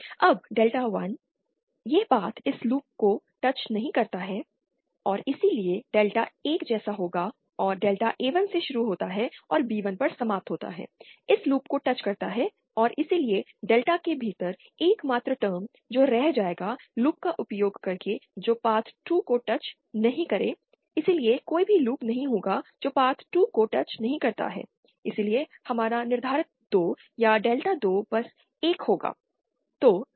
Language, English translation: Hindi, Now delta 1, this path does not touch this loop and hence delta one will be same as delta and this path starting from A1 and ending at B1, touches this loop and therefore the only term within delta that will be left using loops that do not touch the path 2, so would not have any loops which do not touch path 2, hence our determinant 2 or delta 2 will simply be 1